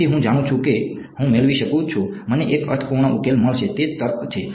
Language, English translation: Gujarati, So, that I know, I can get I will get a meaningful solution right, that is the logic